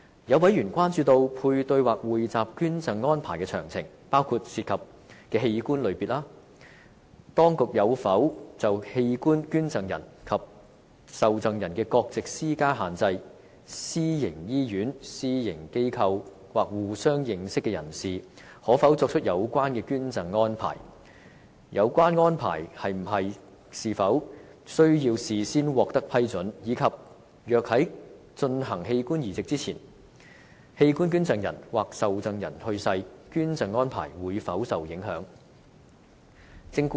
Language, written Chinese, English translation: Cantonese, 有委員關注配對或匯集捐贈安排的詳情，包括：涉及的器官類別；當局有否就器官捐贈人及受贈人的國籍施加限制；私營醫院、私營機構或互相認識的人士，可否作出有關捐贈安排；有關安排是否需要事先獲得批准；以及若在進行器官移植前，器官捐贈人或受贈人去世，捐贈安排會否受影響。, While members generally support the Bill some of them are concerned about the technicalities of a paired or pooled donation arrangement including what types of organs are involved; whether the authorities will impose restrictions on the nationalities of organ donors and recipients; whether private hospitals private organizations or acquaintances can make such arrangements; whether prior approval is required for such arrangements; and whether the donation arrangement will be affected if the organ donor or the recipient passes away before the organ transplant takes place